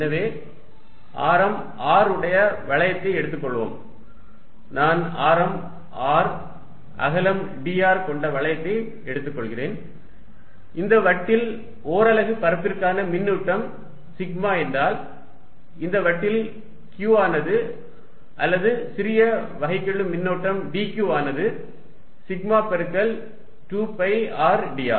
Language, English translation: Tamil, So, let us take a ring of radius R, so I am taking a ring of radius R width dr and if the disc carries charge sigma per unit area, then on this ring the charge Q is going to be or let us say small differential charge dQ is going to be sigma times 2 pi r dr, 2 pi r dr is the area of this ring